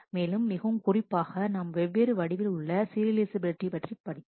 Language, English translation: Tamil, And very specifically we have learnt about different forms of serializability